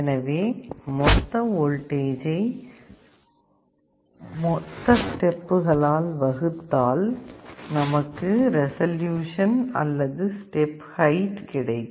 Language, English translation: Tamil, So, the total voltage divided by the number of steps will be the height of every step or resolution